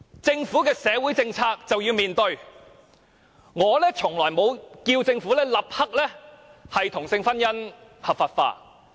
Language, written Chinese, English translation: Cantonese, 政府的社會政策便是要面對，我從來沒有要求政府立刻把同性婚姻合法化。, The Governments social policies should face it . I have never asked the Government to legalize same - sex marriage immediately